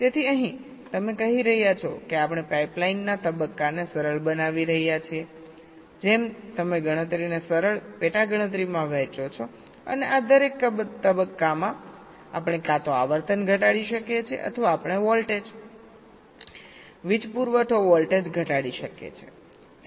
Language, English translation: Gujarati, so here you are saying that we are making the pipe line stages simpler, just like you do divide a computation into simpler sub computation and each of this stages we can either reduce the frequency or we can reduce the voltage, power supply voltage